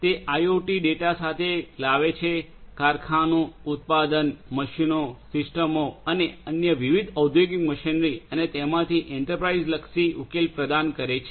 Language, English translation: Gujarati, It brings together IoT data from factory, product, machines, systems and different other industrial machinery and it is it provides an provides an enterprise oriented solution